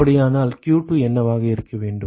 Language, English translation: Tamil, So, what should be q2 then